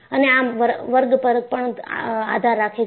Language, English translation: Gujarati, It depends on the class